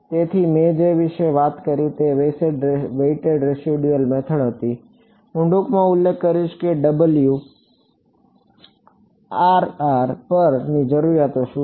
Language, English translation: Gujarati, So, what I spoke about, was the weighted residual method I will briefly mention what are the requirements on Wm ok